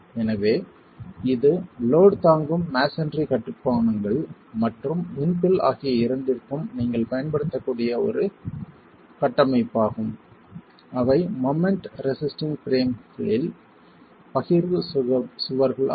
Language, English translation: Tamil, So, this is a framework that you can use both for load bearing masonry constructions and for infill which are partitioned walls in moment resisting frames